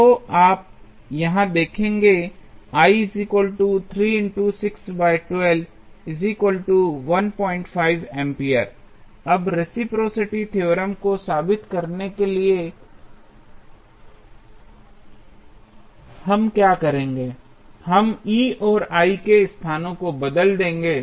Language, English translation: Hindi, Now, to prove the reciprocity theorem, what we will do we will interchange the locations of E and I